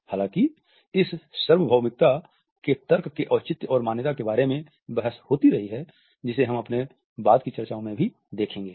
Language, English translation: Hindi, However, there also has been a continued debate about the justification and validation of this universality argument which we would touch upon in our later discussions